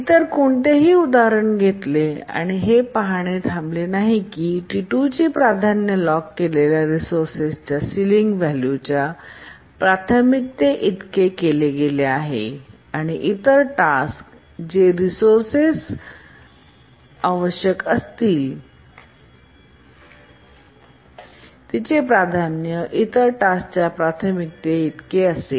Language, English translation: Marathi, You can take any other example and see that deadlock cannot occur because T2's priority is made equal to the ceiling priority of the resource it locks and if the other task needs the resource, its priority will be as much as the priority of the other task